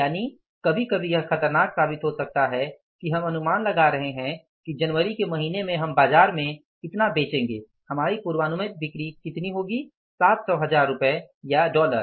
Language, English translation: Hindi, That we are anticipating that in the month of January we will sell in the market our sales forecasted sales will be how much, 700,000 rupees or dollars